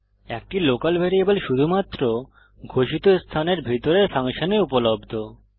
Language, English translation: Bengali, A local variable is available only to the function inside which it is declared